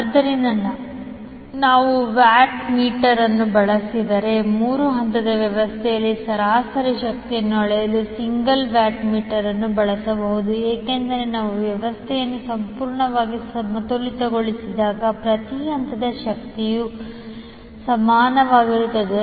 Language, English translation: Kannada, So if we use the watt meter in case of balance system single watt meter can be used to measure the average power in three phase system because when we have the system completely balanced the power in each phase will be equal